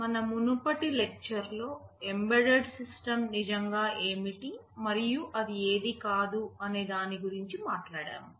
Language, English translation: Telugu, In our previous lecture, we talked about what an embedded system really is and what it is not